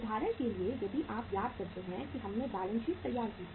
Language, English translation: Hindi, So for example if you recall when we prepared the balance sheet